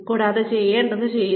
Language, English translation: Malayalam, And do, what is required to be done